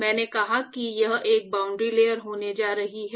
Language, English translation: Hindi, So, I said that is going to be a boundary layer